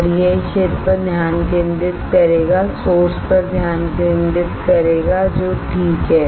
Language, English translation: Hindi, And it will focus on this area focus on the source alright